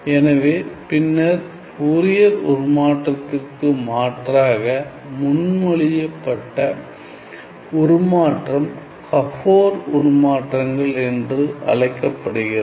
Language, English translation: Tamil, So, then an alternative was proposed, an alternative was proposed to Fourier transform also known as the Gabor transforms